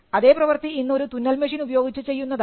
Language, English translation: Malayalam, The same could be done today by a sewing machine